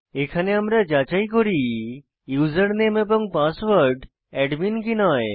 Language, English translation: Bengali, Here we check if username and password equals admin